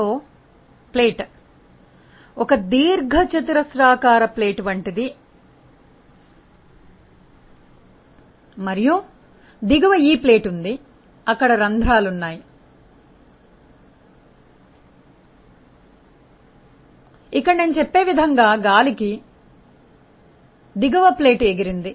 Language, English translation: Telugu, So, there is something like plate a rectangular plate and there is a bottom plate, there are holes in the bottom plate through which fluid say air is blown like this